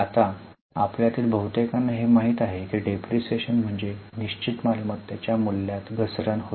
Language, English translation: Marathi, Now, most of you know that depreciation refers to fall in the value of fixed asset